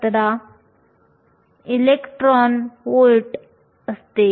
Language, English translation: Marathi, 10 electron volts